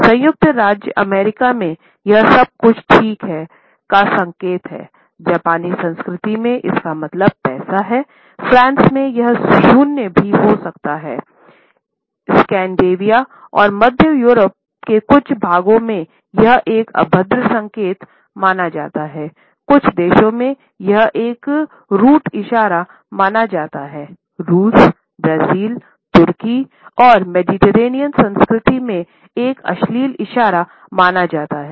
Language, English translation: Hindi, In the USA, it signals that everything is ‘okay’, in Japanese culture it means ‘money’, in France it may mean ‘zero’, in Scandinavia and certain parts of Central Europe it is considered as a vulgar gesture, in some countries it is considered to be a root gesture, in Russia, Brazil, Turkey and the Mediterranean cultures, it is considered to be an obscene gesture